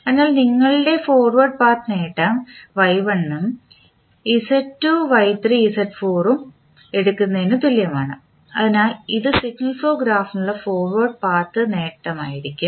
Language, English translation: Malayalam, So, your forward path gain is equal to take Y1 then Z2 Y3 Z4 so this will be the forward path gain for the signal flow graph given